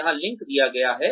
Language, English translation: Hindi, The link is given